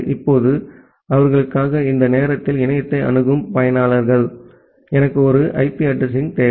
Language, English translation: Tamil, Now, the users who are accessing the internet at this moment for them, I require an IP addresses